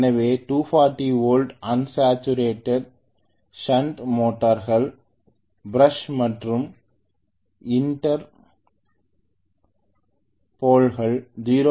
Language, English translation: Tamil, Okay so 240 volts unsaturated shunt motors have an armature resistance including brushes and inter poles of 0